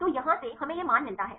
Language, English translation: Hindi, So, from here, we get this value 12